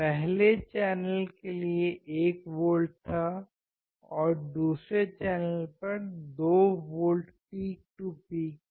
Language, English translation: Hindi, Earlier it was 1 volt for one channel, second channel is 2 volts peak to peak